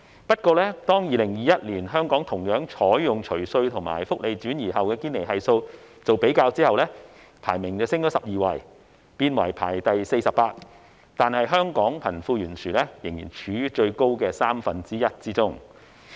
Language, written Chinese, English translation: Cantonese, 不過，當該學院於2021年採用香港除稅及福利轉移後的堅尼系數作比較，香港的排名則上升12位，變為第四十八位，但香港仍處於貧富懸殊最大的三分之一經濟體之中。, Yet when Gini Coefficient calculated based on the post - tax and post - social transfer income of Hong Kong is used for comparison in 2021 Hong Kongs ranking rose by 12 places to 48th but it is still among the top one third of the economies with the worst disparity between the rich and the poor